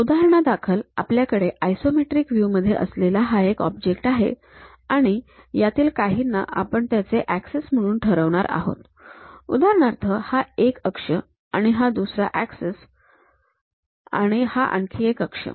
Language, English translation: Marathi, Just an example, we have an object here for isometric view; if we are fixing some of them as axis, for example, this is one axis, this is another axis, this is another axis